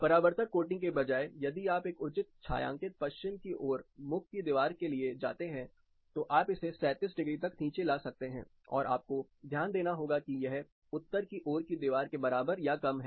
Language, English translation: Hindi, Instead of reflective coating, if you go for a proper shaded west facing wall, you can bring it down to as low as 37 degree and you have to notice that this is more or less equivalent to a north facing wall